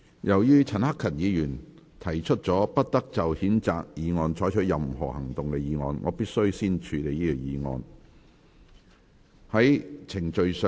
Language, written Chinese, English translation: Cantonese, 由於陳克勤議員提出了"不得就譴責議案再採取任何行動"的議案，我必須先處理這項議案。, As Mr CHAN Hak - kan has moved the motion that no further action shall be taken on the censure motion I must deal with this motion first